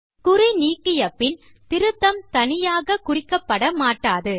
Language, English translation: Tamil, When unchecked, any further editing will not be marked separately